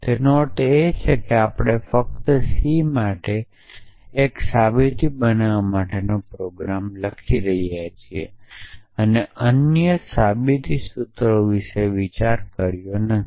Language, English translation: Gujarati, So, that means we are writing the program to generate a proof for only c and not worrying about other provable formulas essentially